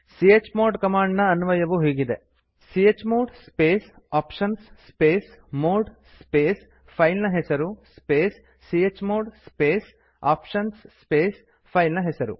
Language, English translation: Kannada, Syntax of the chmod command is chmod space [options] space mode space filename space chmod space [options] space filename We may give the following options with chmod command